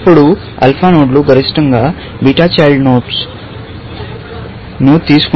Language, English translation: Telugu, Then, alpha nodes will take the maximum of beta children